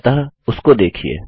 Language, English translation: Hindi, So check it out